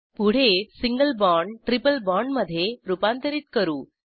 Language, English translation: Marathi, Next lets convert the single bond to a triple bond